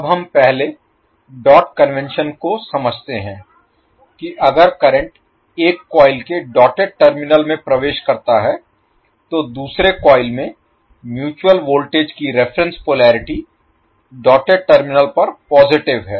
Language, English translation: Hindi, Now let us understand the dot convention first if a current enters the doted terminal of one coil the reference polarity of the mutual voltage in the second coil is positive at the doted terminal of the second coil